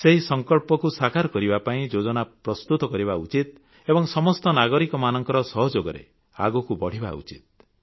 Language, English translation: Odia, Plans should be drawn to achieve that pledge and taken forward with the cooperation of all citizens